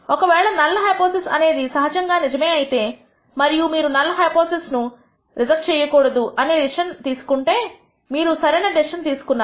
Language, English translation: Telugu, Suppose the null hypothesis is actually true and you have made a decision to not reject the null hypothesis which means you have made the correct decision